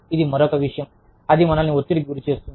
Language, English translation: Telugu, That is another thing, that tends to stress us out